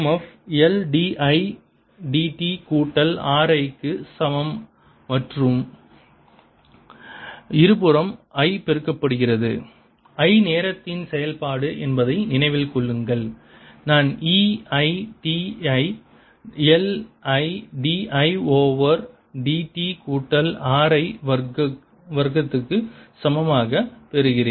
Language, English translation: Tamil, so if i take this equation again, e m f is equal to l d i, d t plus r i and multiply both sides by i remember i is a function of time i get e i t is equal to l i, d, i over d t plus r i square